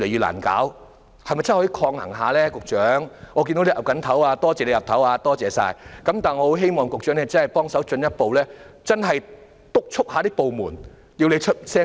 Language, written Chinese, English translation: Cantonese, 我看到局長現時正在點頭，多謝他點頭，但我希望他可以進一步督促部門加快程序。, Would the Secretary counterbalance it a little bit? . I see that the Secretary is nodding now which I thank him for but I hope he can further supervise and urge the departments concerned to speed up the process